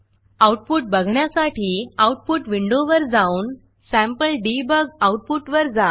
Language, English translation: Marathi, We can also look at the Output window with the sample debug output